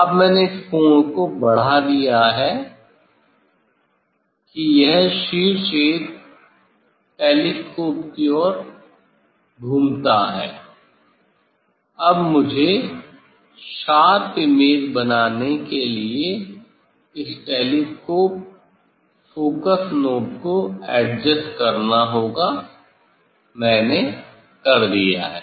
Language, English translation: Hindi, Now, I have increased the angle this edge apex it rotates towards the telescope, now I have to adjust this telescope focus knob to make the image sharp, I have done